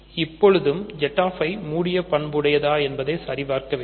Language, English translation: Tamil, We need to still verify that Z i is closed under multiplication